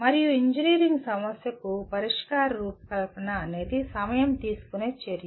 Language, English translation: Telugu, And because designing solution for an engineering problem is a time consuming activity